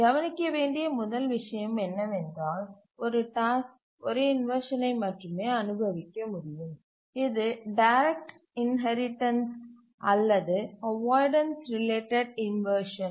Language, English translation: Tamil, The first thing to note is that a task can suffer at best only one of the inversions, either direct inheritance or avoidance related inversions